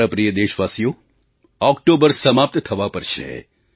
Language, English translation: Gujarati, My dear countrymen, October is about to end